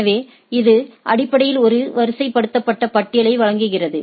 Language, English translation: Tamil, So, it basically gives a ordered set of list